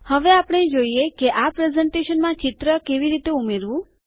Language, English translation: Gujarati, We will now see how to add a picture into this presentation